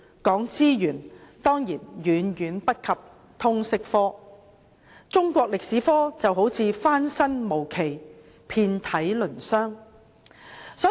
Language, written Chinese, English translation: Cantonese, 在資源方面，當然遠遠不及通識科，中史科就像翻身無期，遍體鱗傷。, In terms of resources Chinese History is certainly lagging far behind Liberal Studies